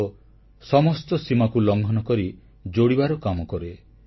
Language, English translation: Odia, Yoga breaks all barriers of borders and unites people